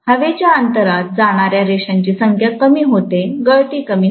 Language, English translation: Marathi, The number of lines and escaping into air gap decreases, the leakage decreases, right